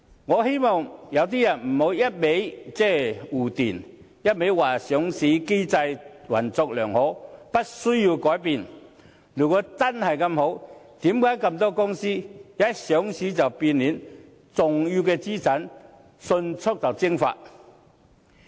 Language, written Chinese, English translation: Cantonese, 我不希望有些人只是堅持護短，堅持說上市機制運作良好，無須改變，如果真的這麼好，為何這麼多公司一上市便變臉，重要資產迅速蒸發？, I do not hope to see anyone continue to protect the defect of our listing mechanism and insist that it has been working well requiring no changes . If it really has been working so well why have so many companies changed so drastically immediately after listing? . Why have their main assets evaporated so very rapidly?